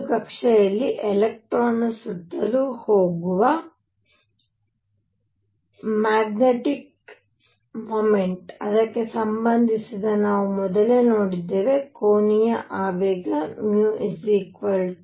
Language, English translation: Kannada, I also point out that we saw earlier that the magnetic moment of electron going around in an orbit was related to it is angular momentum as mu equals e l over 2 m